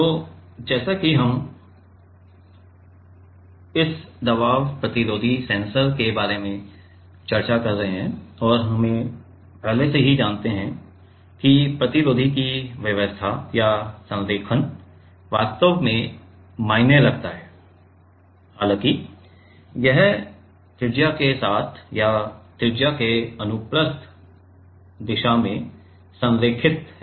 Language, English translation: Hindi, So, as we are discussing about this pressure resistive sensor and we already know that the arrangement or the alignment of the resistor actually matters like; however, whether this is aligned along the radius or in transverse direction to the radius right